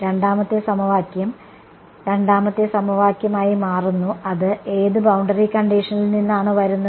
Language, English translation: Malayalam, Second equation becomes second equation would be coming from which boundary condition